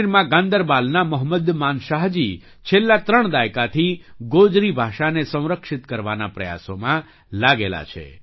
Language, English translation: Gujarati, Mohammad Manshah ji of Ganderbal in Jammu and Kashmir has been engaged in efforts to preserve the Gojri language for the last three decades